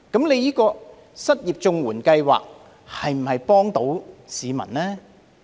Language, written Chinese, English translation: Cantonese, 那麼，失業綜援計劃能否幫助市民呢？, In that case can the unemployment assistance under CSSA help the public?